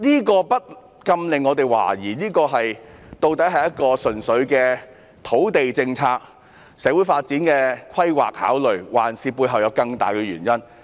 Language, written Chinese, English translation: Cantonese, 這不禁令我們懷疑，這究竟純粹是土地政策，是出於社會發展的考慮，抑或背後還有更大的原因呢？, This makes us wonder whether this is merely a land policy arising from considerations of social development or there is a more important reason behind? . I can tell all of you that in my opinion this is actually political manipulation